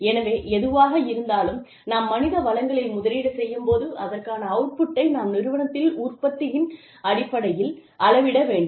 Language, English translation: Tamil, So, whatever, we invest in human resources, should be measured in output, in terms of the output in the company